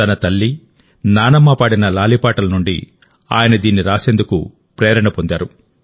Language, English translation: Telugu, He got the inspiration to write this from the lullabies sung by his mother and grandmother